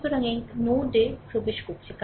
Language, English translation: Bengali, So, this current is entering into the node